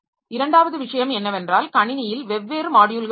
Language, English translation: Tamil, Second thing is that there are different modules in my system